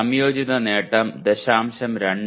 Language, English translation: Malayalam, The combined attainment is 0